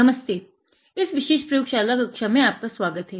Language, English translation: Hindi, Hi, welcome to this particular lab class